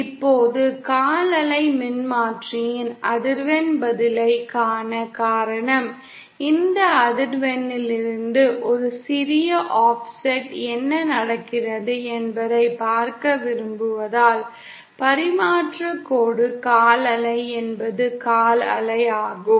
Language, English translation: Tamil, Now the reason we see the frequency response of the quarter wave transformer is because, we want to see what happens at say a small offset from this frequency for which the transmission line is a quarter wave is of quarter wave